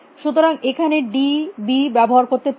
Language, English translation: Bengali, So, let me use d b here also